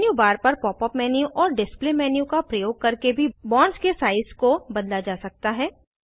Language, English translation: Hindi, The size of the bonds can be changed using Pop up menu, as well as Display menu on the menu bar